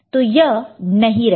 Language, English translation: Hindi, What will happen